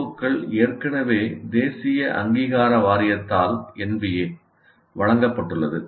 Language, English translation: Tamil, O's are already given by National Board of Accreditation